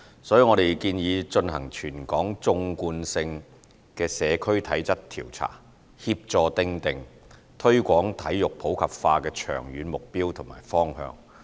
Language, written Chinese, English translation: Cantonese, 所以我們建議進行全港縱貫性的社區體質調查，協助訂定推廣體育普及化的長遠目標和方向。, As such we have proposed to conduct a territory - wide longitudinal Physical Fitness Survey to facilitate the formulation of long - term targets and measures to promote sports in the community